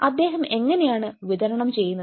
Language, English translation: Malayalam, how he is delivering